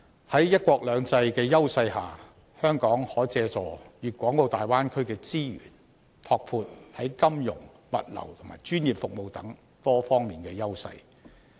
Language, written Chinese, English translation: Cantonese, 在"一國兩制"的優勢下，香港可借助大灣區的資源，拓闊在金融、物流和專業服務等多方面的優勢。, With the edges under one country two systems Hong Kong can make use of the resources of the Bay Area to enhance its advantages in its financial logistics and professional services